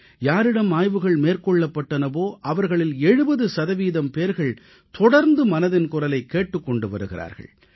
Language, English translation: Tamil, Out of the designated sample in the survey, 70% of respondents on an average happen to be listeners who regularly tune in to ''Mann Ki Baat'